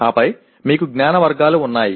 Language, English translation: Telugu, Then you have knowledge categories